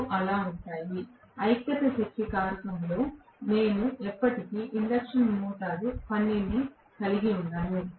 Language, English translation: Telugu, Both will be there so, I will never ever have an induction motor work in unity power factor